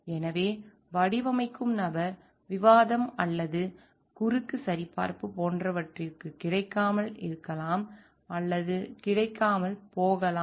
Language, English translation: Tamil, So, and the person who is designing may or may not be available for like discussion or cross check